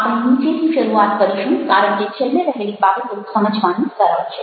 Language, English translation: Gujarati, now we will start from the bottom, because the they wants at the bottom are easier to understand